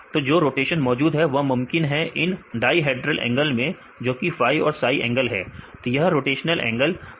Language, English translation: Hindi, So, the rotational available, is possible in the dihedral angles right phi and psi angles, that is rotational angle of N Calpha and Calpha C